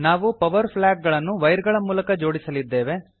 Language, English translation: Kannada, Now we will connect the power flag with wires